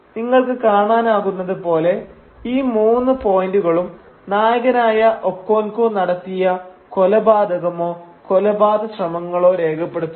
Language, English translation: Malayalam, And as you can see, each of these three points list a murder or an attempted murder committed by the protagonist Okonkwo